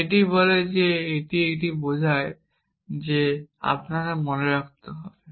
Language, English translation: Bengali, It says that this implies this and that implies that because if you might remember you can